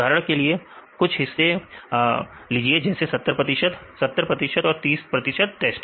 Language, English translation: Hindi, For example, take some part for example, 70 percent; 70 training and 30 test